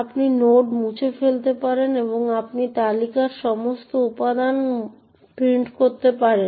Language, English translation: Bengali, You can delete node and you can actually print all the elements in the list